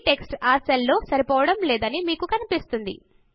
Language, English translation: Telugu, You see that the text doesnt fit into the cell